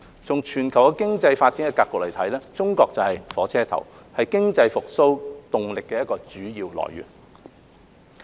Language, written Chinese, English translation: Cantonese, 從全球經濟發展的格局來看，中國就是"火車頭"，是經濟復蘇動力的主要來源。, In the context of global economic development China is the locomotive and the main source of momentum for economic recovery